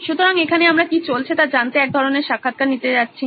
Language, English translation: Bengali, So, here we are I am going to sort of do interview to find out what went on